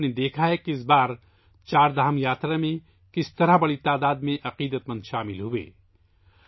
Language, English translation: Urdu, You must have seen that this time a large number of devotees participated in the Chardham Yatra